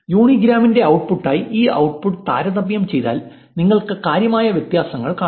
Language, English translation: Malayalam, If you compare this output with the output of the uni grams, you will see considerable differences